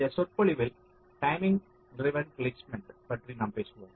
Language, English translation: Tamil, ah, in this lecture we shall be talking about timing driven placement